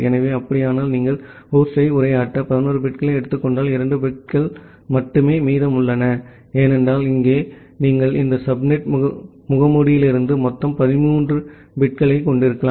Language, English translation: Tamil, So, if that is the case, then if you are taking 11 bits to addressing the host, then there are only 2 bits remaining, because here you can have a total of 13 bits from this subnet mask